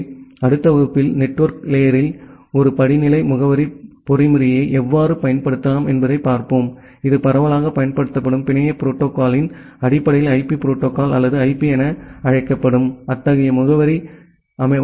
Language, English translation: Tamil, So, in the next class, we will look into that how we can use a hierarchical addressing mechanism in network layer based on that widely used network protocol that we call as the IP protocol or IP to design such kind of address